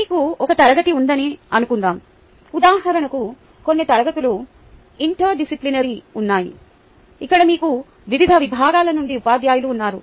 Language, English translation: Telugu, supposing you have a class which is mixed, for example, there are certain classes which are interdisciplinary, where you have teachers from different disciplines